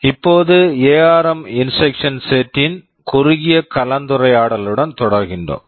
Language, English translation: Tamil, We shall now start a very short discussion on the ARM instruction set